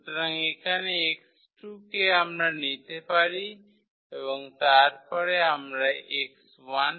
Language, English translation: Bengali, So, here the x 2 we can choose and then we can get the x 1